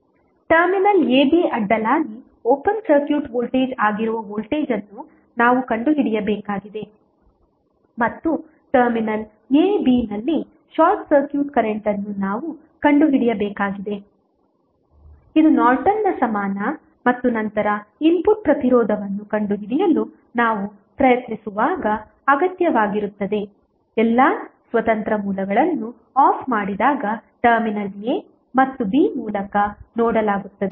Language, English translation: Kannada, We have to find out the voltage that is open circuit voltage across terminal a, b and we need to find out short circuit current at terminal a, b which is required when we are trying to find out the Norton's equivalent and then input resistance across seen through the terminal a and b when all independent sources are turned off